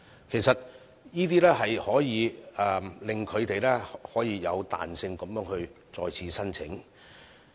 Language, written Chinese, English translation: Cantonese, 其實，上述措施可令中小企有彈性地再次申請。, In fact SMEs should be given more flexibility to make multiple applications for the assistance under the above measures